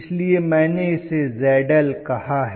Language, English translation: Hindi, So I may have called this as Zl